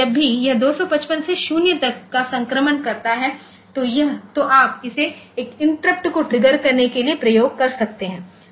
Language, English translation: Hindi, So, whenever it makes a transition from 255 to 0 it can it can you can make it to trigger an interrupt ok